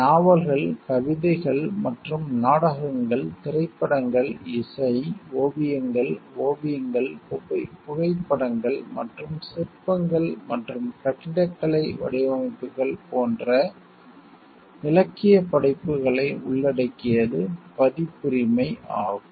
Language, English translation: Tamil, And copyright, which covers the literary works like novels, poems and plays, films, music, artistic works, like drawings, paintings, photographs and sculptures, and architectural designs